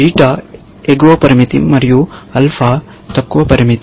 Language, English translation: Telugu, Beta is an upper limit and alpha is a lower limit